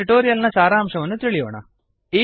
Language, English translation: Kannada, We will summarize the tutorial now